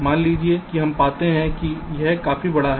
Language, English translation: Hindi, suppose we find that it is significantly larger